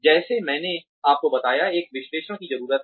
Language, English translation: Hindi, Like, I told you, a needs analysis is important